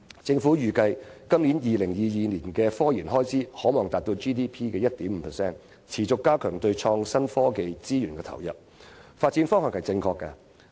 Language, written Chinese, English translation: Cantonese, 政府預計本港在2022年的科研開支可望達到本地生產總值的 1.5%， 持續加強對創新科技資源的投入，是正確的發展方向。, The Government projects that Hong Kongs technological research expenditure can reach 1.5 % of the Gross Domestic Product by 2022 . Increasing resource commitment for innovation and technology is a correct development direction